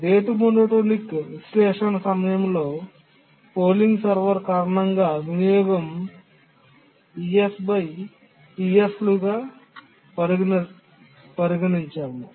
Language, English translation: Telugu, So during the rate monotonic analysis, we consider the utilization due to the polling server to be ES by PS